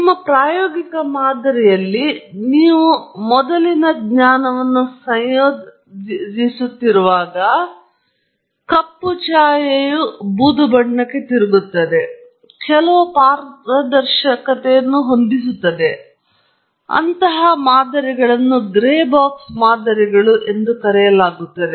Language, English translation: Kannada, And as you keep incorporating the prior knowledge into your empirical model, the black shade turns into gray, and there is some transparency that sets in and such models are known as gray box models